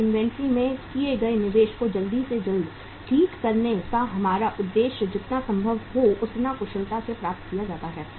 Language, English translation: Hindi, And our objective of recovering the investment made in the inventory as quickly as possible, as efficiently as possible is achieved